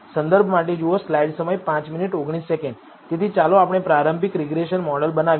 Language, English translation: Gujarati, So, to start with let us build a linear regression model